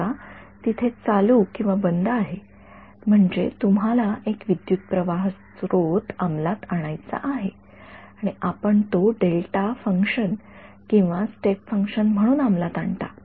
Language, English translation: Marathi, Supposing there is an on off I mean there is a current source you want to implement and you implement it as a delta function or as a step function